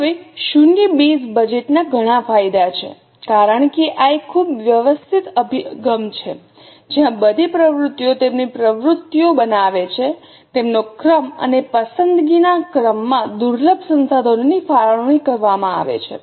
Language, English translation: Gujarati, Now, there are a lot of advantages of zero based budget because this is a very systematic approach where all the activities make their presentations, they are ranked, and as per the order of preference, scarce resources are allocated